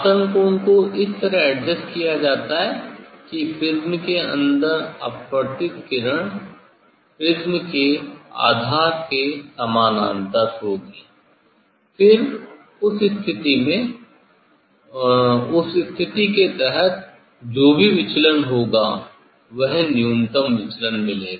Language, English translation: Hindi, This angle of incidence will be adjusted such that the refracted ray inside the prism will be parallel to the base of the prism, then in that condition under that condition will get the whatever deviation that is the minimum deviation